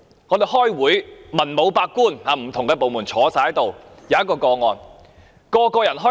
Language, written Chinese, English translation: Cantonese, 我們開會時，文武百官，來自不同的部門坐在席上。, When we hold a meeting officials from different departments are in attendance